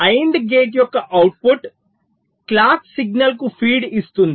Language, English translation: Telugu, the output of the and gate is feeding the clock signal